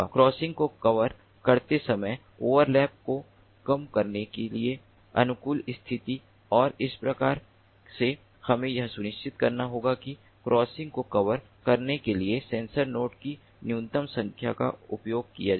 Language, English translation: Hindi, so you know, we have to come up with some optimality conditions, optimality conditions for minimizing the overlap while covering the crossings, and that way we have to ensure that minimum number of sensor nodes are utilized in order to cover covered the crossings